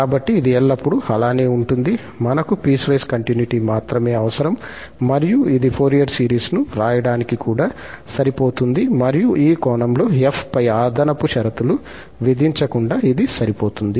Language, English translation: Telugu, So, this is always the case, we need only piecewise continuity and it is also sufficient for writing the Fourier series and then in this sense, we have always reserved without imposing any extra condition on f